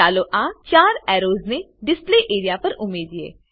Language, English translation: Gujarati, Lets add these 4 arrows to the Display area